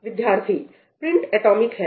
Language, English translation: Hindi, Print is atomic